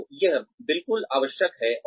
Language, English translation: Hindi, So, that is absolutely necessary